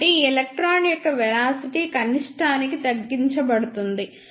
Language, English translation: Telugu, So, for this electron, the velocity of this electron will be reduced to the minimum